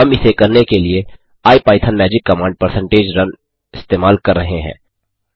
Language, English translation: Hindi, We use the IPython magic command percentage run to do this